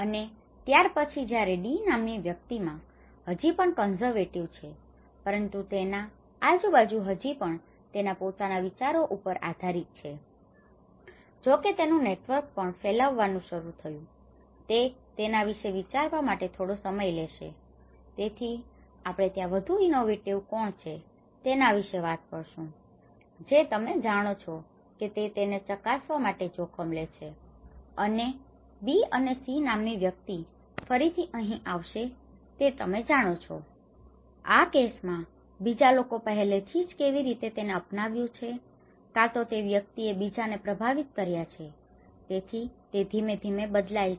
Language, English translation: Gujarati, And then, whereas in the person D, he is still in a conservative but his; all his surroundings still relying on his own ways of thinking though his network have started erupting, he takes time to think about it, so that is where we talk about who is more innovative, the one who immediately you know takes that risk to test it and the person B and person C again they comes in you know here again, in this case, it is also looked at how other people have already adopted and either this person have influenced others, so that gradually changes